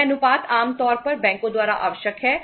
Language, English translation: Hindi, This ratio is normally required by the banks